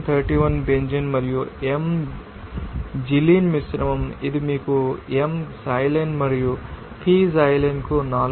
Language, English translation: Telugu, 31 Benzene and m Xylene mixture it will give you a 4